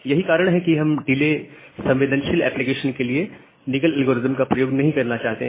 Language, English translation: Hindi, And that is why do not want to use Nagle’s algorithm for delay sensitive application